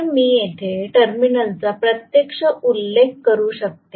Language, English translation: Marathi, So, I can actually mention the terminals here